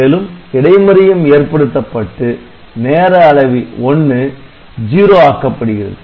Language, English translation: Tamil, And interrupt can also be triggered and timer 1 can be cleared to 0